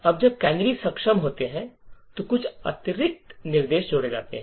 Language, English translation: Hindi, Now when canaries are enabled there are a few extra instructions that gets added